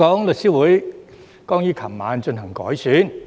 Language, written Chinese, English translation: Cantonese, 律師會剛於昨晚進行改選。, The Law Society re - election just took place last night